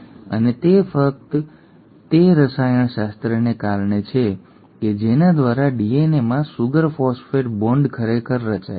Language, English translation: Gujarati, And that is simply because of the chemistry by which the sugar phosphate bond in DNA is actually formed